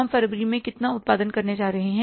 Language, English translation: Hindi, In the month of February, we will sell this much